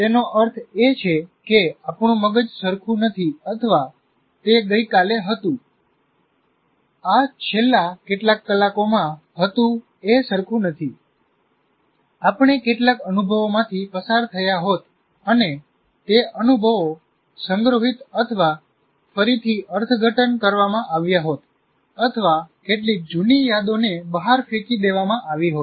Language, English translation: Gujarati, That means, our brain is not the same of what it was yesterday because from in this past few hours we would have gone through some experiences and those experiences would have been stored or reinterpreted thrown out or some old memories might have been thrown out